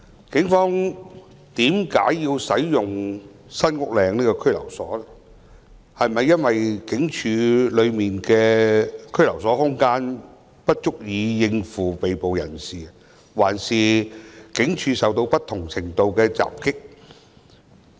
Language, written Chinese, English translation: Cantonese, 為甚麼警方要使用該中心，是警署內的拘留空間不足以應付被捕人士，抑或警署曾受到不同程度的襲擊？, Why did the Police use that Centre? . Is it because there is insufficient space in various police stations to detain the arrestees or the police stations have been subject to various degrees of attack?